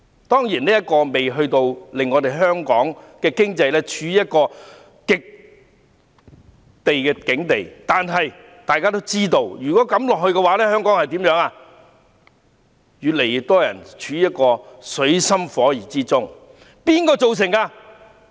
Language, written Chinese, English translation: Cantonese, 當然，這情況仍未至於令香港經濟陷入絕境，但大家也知道，如果情況持續，香港將會有越來越多人處於水深火熱之中。, Certainly Hong Kong is yet to be in dire straits but Members should know that if the situation continues more and more people in Hong Kong will suffer tremendously